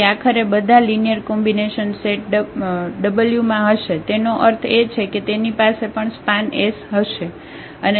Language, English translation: Gujarati, So, eventually all the linear combinations must be there in this set w; that means, this will also have i span S